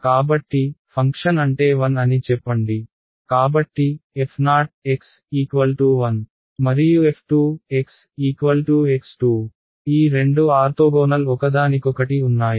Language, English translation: Telugu, So, is the function say is 1; so, f 0 x is equal to 1 and f 2 x is equal to x square; are these two orthogonal to each other